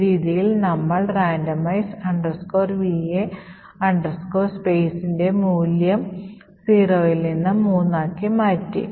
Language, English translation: Malayalam, So in this way we have changed the value of randomize underscore VA underscore space from 0 to 3